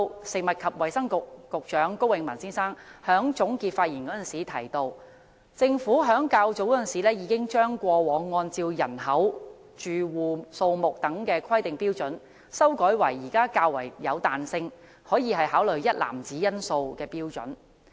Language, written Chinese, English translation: Cantonese, 食物及衞生局局長高永文先生在總結發言時提到，政府在較早時候已經將過往按照人口、住戶數目等規劃標準，修改為現時較有彈性，可以考慮一籃子因素的規劃標準。, Dr KO Wing - man the Secretary for Food and Health pointed out in his concluding remarks that the Government had earlier modified the previous planning criteria which were based on population and the number of households and more flexible planning criteria which took a basket of factors into consideration have been adopted